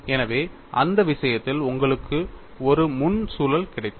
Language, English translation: Tamil, So, in that case you got a frontal loop